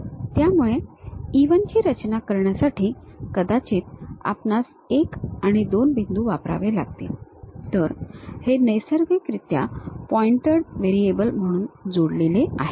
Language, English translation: Marathi, So, to construct E 1 perhaps you might be using 1 and 2 points; so, these are naturally connected as a pointed variables